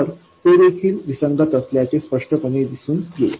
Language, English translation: Marathi, So, that will also obviously come out to be inconsistent